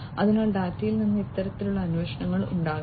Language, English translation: Malayalam, So, this kind of queries could be made from the data